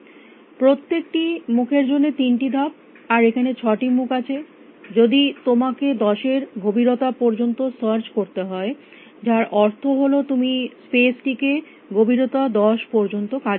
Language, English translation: Bengali, 3 for each face, and there are 6 faces if you had to search up to a depth of ten which means you want to explore the space up to depth ten